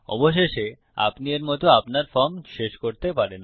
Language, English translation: Bengali, Finally, you can end your form like that